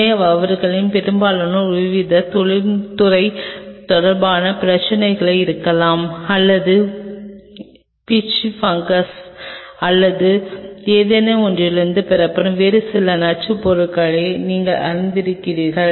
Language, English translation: Tamil, So, those are most of people who are can some kind of industrial related problem or you know some kind of other toxic material derived from insect fungus or something